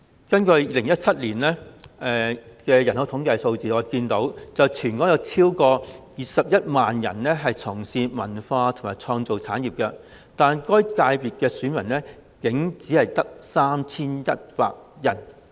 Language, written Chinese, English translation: Cantonese, 根據2017年的人口統計數字，全香港共有超過21萬人從事文化及創意產業，但屬於該界別的選民竟然只有約 3,100 人。, According to the 2017 Population Census a total of more than 210 000 people were engaged in the cultural and creative industry in Hong Kong; but there are only some 3 100 electors in the FC concerned